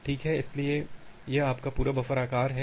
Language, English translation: Hindi, Well, so, this is your complete buffer size